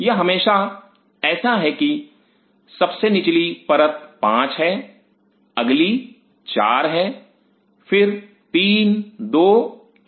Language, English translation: Hindi, It is always like if the lowermost layer is 5 next is 4 then 3 2 1